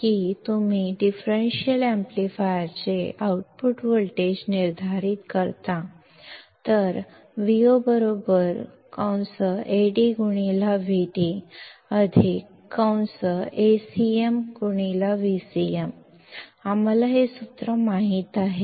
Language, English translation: Marathi, That you determine the output voltage of differential amplifier; so, V o is nothing, but Ad into V d plus Acm into V c m; we know this formula